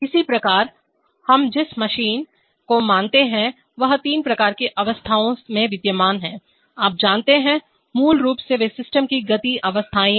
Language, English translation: Hindi, Similarly, the machine we assume is existing in three kinds of states, you know, basically they are the motion states of the system